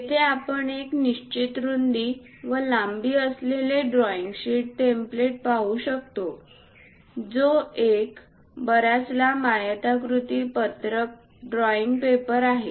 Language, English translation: Marathi, So, here we can see a drawing sheet template having certain width and a length; it is a very long rectangular sheet drawing paper